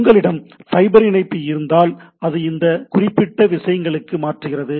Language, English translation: Tamil, If you have a fiber connect, then it converts to that particular things